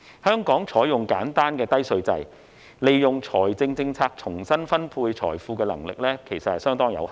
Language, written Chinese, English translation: Cantonese, 香港採用簡單低稅制，利用財政政策重新分配財富的能力其實相當有限。, Hong Kong adopts a simple and low tax regime so our capability to redistribute wealth through fiscal policies is in fact very limited